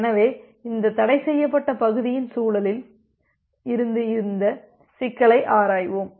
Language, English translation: Tamil, So, we are looking into this problem from the context of this forbidden region